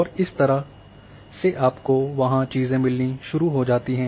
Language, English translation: Hindi, And this is how you start getting things there